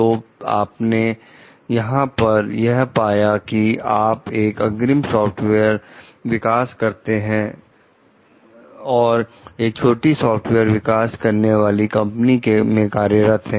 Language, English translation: Hindi, So, what you found over here like you are a lead software developer for a small software developing company